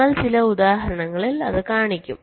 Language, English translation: Malayalam, ok, we shall be showing in some examples